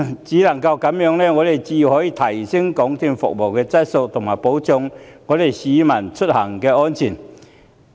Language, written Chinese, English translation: Cantonese, 只有這樣才可以提升港鐵公司的服務質素，保障市民的出行安全。, Only this can enhance MTRCLs service quality and ensure peoples travel safety